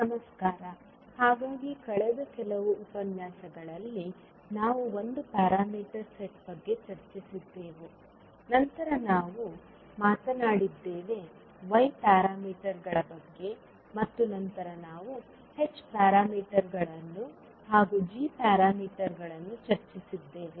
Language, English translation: Kannada, Namaskar, so in last few sessions we discussed about a set of parameters, we started with Z parameters, then we spoke about Y parameters and then we discussed H parameters as well as G parameters